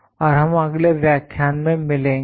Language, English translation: Hindi, And we will meet in the next lecture